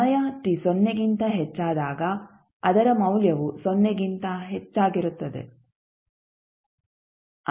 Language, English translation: Kannada, Its value is greater than 0 when time t is greater than 0